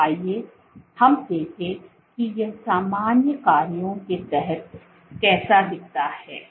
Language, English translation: Hindi, So, let us look at how it looks under normal functions